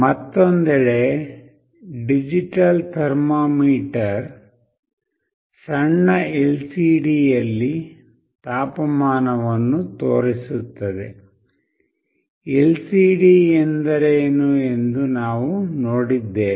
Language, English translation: Kannada, On the other hand, a digital thermometer displays the temperature on a tiny LCD; we have also seen what an LCD is